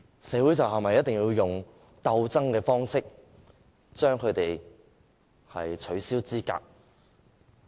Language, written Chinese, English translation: Cantonese, 社會是否一定要用鬥爭的方式取消他們的資格？, Must society disqualify them in a confrontational manner?